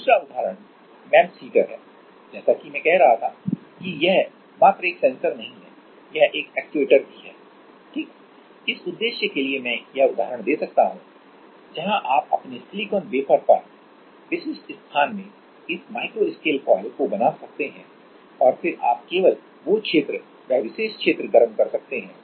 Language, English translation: Hindi, Another example is MEMS heater as I was saying that it is not only a sensor it is an actuator also right, for that purpose I can give this example where you can make this micro scale coils at specific space on your silicon wafer and then you can heat up only at that region that particular region